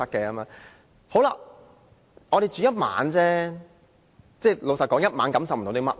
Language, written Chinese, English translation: Cantonese, 我們只是住1晚而已，老實說，住1晚感受不了甚麼。, We stayed just for one night which honestly did not give us any profound experience